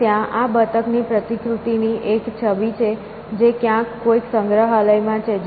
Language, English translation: Gujarati, And, there is a image of a replica of this duck which is lying in some museum somewhere